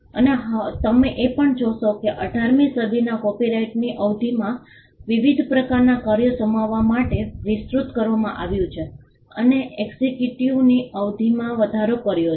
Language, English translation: Gujarati, Now, you will also see that over the period of time since the 18th century the copyright term has extended to accommodate different kinds of works and it has also expanded increasing the term of the exclusivity